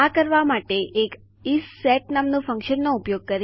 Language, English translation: Gujarati, To do so, we will use a function called isset